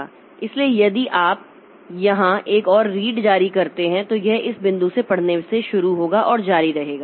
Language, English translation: Hindi, So if you issue another read here so it will start from this read from this point and continue